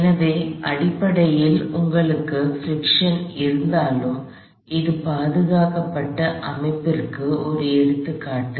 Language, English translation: Tamil, So, essentially even though you have friction, this is an example of a conserved system